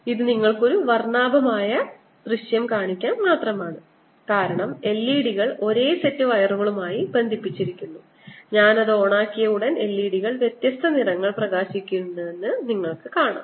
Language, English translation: Malayalam, this is just to show you a colorful ah you know demonstration: lot of l e d's connected to the same set of wires and as soon as i turned it on, you will see that the l e d's will light up with different colors